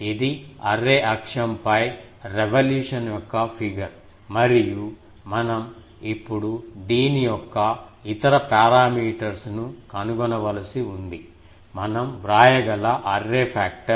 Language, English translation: Telugu, It is a figure of revolution about the array axis and we now need to find out the other parameters of this, the array factor we can write